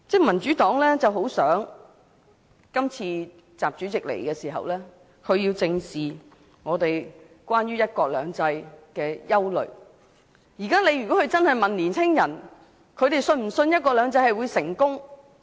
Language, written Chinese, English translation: Cantonese, 民主黨很希望習主席這次來港能正視大家對"一國兩制"落實情況的憂慮，如果他問青年人是否相信"一國兩制"會成功？, The Democratic Party strongly hopes that President XI can face up to our worries about the implementation of one country two systems in his current visit to Hong Kong